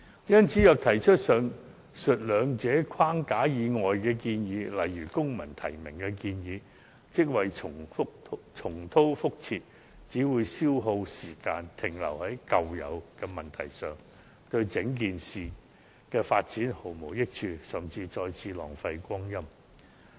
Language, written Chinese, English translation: Cantonese, 因此，若提出以上兩個框架以外的建議，例如公民提名，可說是重蹈覆轍，只會消耗時間，停留在舊有問題上，對整件事的發展毫無益處，甚至再次浪費光陰。, Therefore any proposal outside the above two frameworks such as introducing civil nomination can be said as repeating the same error and wasting time on the same old problem without offering any help to the overall development . This will even squander our precious time